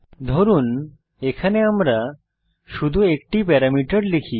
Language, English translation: Bengali, Suppose here we pass only one parameter